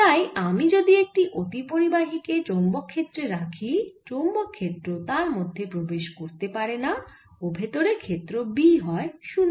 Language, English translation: Bengali, so if i place a superconducting material in a magnetic field, then the magnetic field will not enter inside the superconducting material and the field b inside is zero